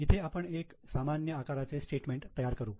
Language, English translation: Marathi, So, here we prepare a common size statement